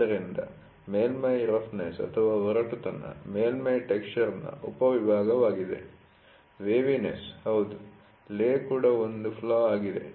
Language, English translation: Kannada, So, surface roughness is a subset of surface texture, waviness yes, lay is also a flaw is also